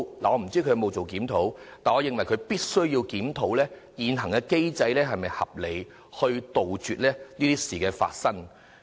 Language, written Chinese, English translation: Cantonese, 我不知道當局有否檢討，但我認為當局必須檢討現行機制是否合理，以杜絕同類事件重演。, I do not know if the Government has conducted a review yet I think the authorities must examine whether or not the existing mechanism is reasonable in preventing the recurrence of similar incidents